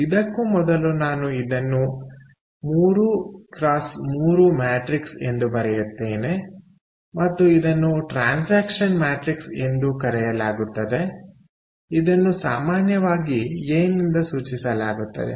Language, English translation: Kannada, so ok, before that, let me write: this is a three by three matrix, and this one is also called transaction matrix, typically denoted by a